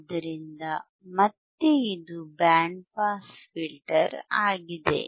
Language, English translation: Kannada, So, again this is band pass filter